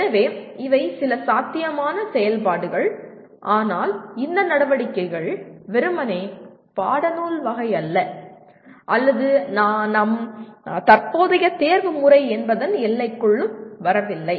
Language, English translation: Tamil, So these are some possible activities but these activities are not merely textbook type nor just come into the purview of a what do you call our present method of examination